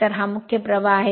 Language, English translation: Marathi, So, this is main current